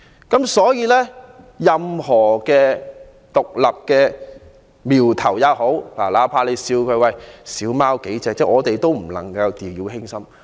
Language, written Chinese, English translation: Cantonese, 因此，對於任何獨立的苗頭，哪怕涉及人數少，我們也不能掉以輕心。, For this reason we must not relax our vigilance for any suggestions concerning independence no matter how few people are involved